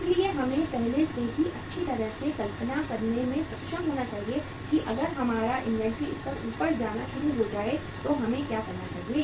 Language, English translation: Hindi, So we should be able to visualize well in advance that if our inventory level starts going up what should we do